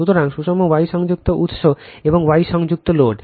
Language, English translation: Bengali, So, balanced star connected source and star connected load